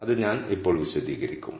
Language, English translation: Malayalam, I will explain that is presently